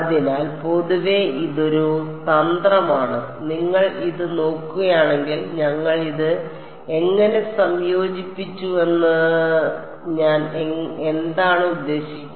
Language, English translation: Malayalam, So, in general this is a strategy what is how did I mean if you look at it how did we combined this